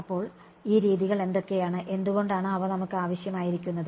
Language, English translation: Malayalam, So, what are these methods and why do we need them